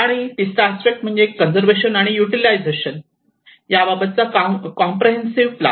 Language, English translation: Marathi, And the third aspect is the comprehensive plan for conservation and utilization